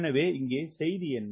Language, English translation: Tamil, so what is the message here